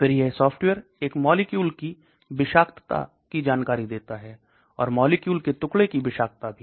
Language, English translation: Hindi, Then this software predicts toxicity of a molecule, and also toxicity of the fragments of the molecule